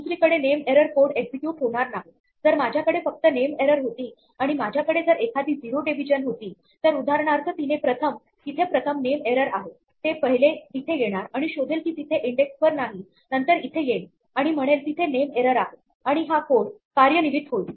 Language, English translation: Marathi, The name error code will not execute on the other hand, if I had only a name error and if I had a zero division error for example, then because there is a name error first it will first it will come here and will find that there is no index error then will come here and say there is a name error and will execute this code